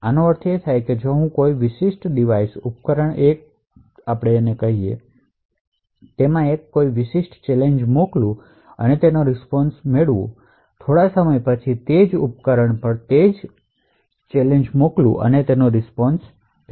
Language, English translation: Gujarati, This means that if I take a particular device say device A, send it a particular challenge and obtain its response and after some time send the challenge to the same device and collect the response